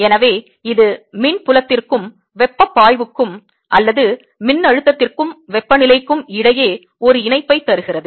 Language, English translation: Tamil, so this gives you a connection between electric field and the heat flow or the potential and the temperature